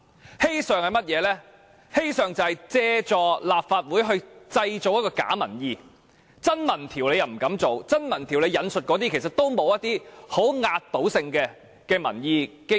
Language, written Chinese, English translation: Cantonese, 而"欺上"，就是政府想借助立法會製造假民意，因為它不敢進行真民調，而其現時引述的資料也欠缺壓倒性的民意基礎。, This is deluding the public . Deceiving its superiors means the Government wishes to make use of the Legislative Council to fabricate public opinions since it dares not conduct any genuine opinion survey and the information it has now cited lacks any basis of overwhelming popular support